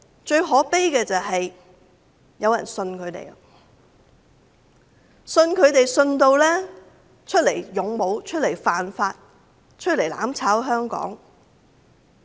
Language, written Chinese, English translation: Cantonese, 最可悲的是有人相信他們，故此出來當勇武、出來犯法、出來"攬炒"香港。, The most saddening is that some people do believe them . Thus they have come out to be the valiant break the law and burn together with Hong Kong